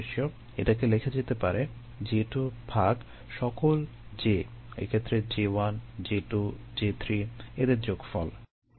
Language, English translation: Bengali, it can be written as j two divided by the sum of all js, j one, j two, j three in this case